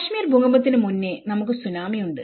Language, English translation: Malayalam, Then, before that Kashmir earthquake, we have the Tsunami